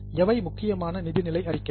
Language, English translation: Tamil, Do you think of different financial statements